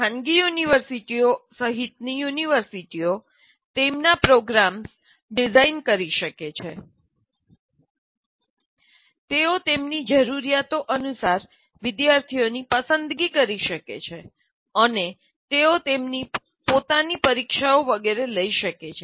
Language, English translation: Gujarati, They can design their own programs, they can select students as per their requirements and they can conduct their own examinations and so on